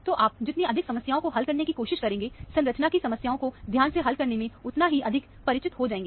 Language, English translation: Hindi, So, the more problems you try to solve, the more familiar you will become, in solving the structure elucidation problems carefully